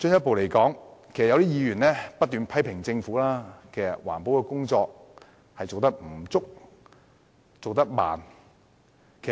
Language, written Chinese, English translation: Cantonese, 此外，有議員不斷批評政府的環保工作做得不足和緩慢。, Besides some Members kept criticizing the Government for being inadequate and slow with its environmental protection efforts